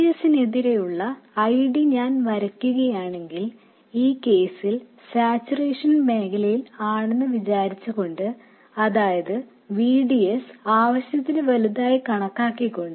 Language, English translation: Malayalam, And also if I plot the ID versus VGS, assuming saturation region in this case, which means that VDS is assumed to be large enough